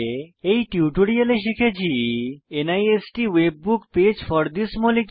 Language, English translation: Bengali, In this tutorial we have learnt * NIST WebBook page for this molecule